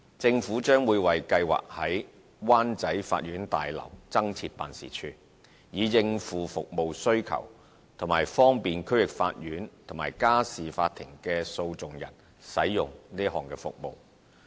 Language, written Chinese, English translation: Cantonese, 政府將會為計劃在灣仔法院大樓增設辦事處，以應付服務需求及方便區域法院和家事法庭的訴訟人使用這項服務。, The Government will set up an additional office for the Scheme in the Wan Chai Law Courts Building with a view to meeting the increasing service needs and providing more accessible service to litigants involved in District Court and Family Court cases